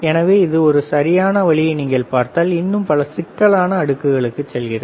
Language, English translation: Tamil, So, for this particular same way if you see this one right, it goes to many more complex layers